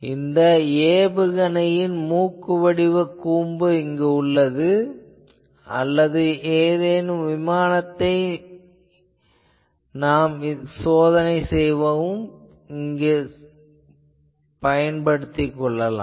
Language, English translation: Tamil, So, you see some nose cone of a missile or some aircraft that is getting tested